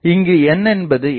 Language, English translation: Tamil, So, here n is equal to 2